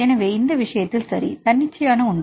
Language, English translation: Tamil, So, in this case right this spontaneous one